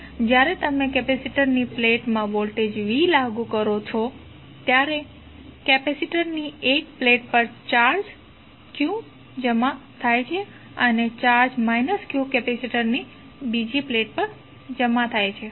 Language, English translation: Gujarati, Now, when u apply voltage v across the plates of the capacitor a charge q is deposited on 1 plate of the capacitor and charge minus q is deposited on the other plate of the capacitor